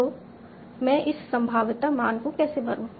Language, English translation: Hindi, So how do I fill in this probability value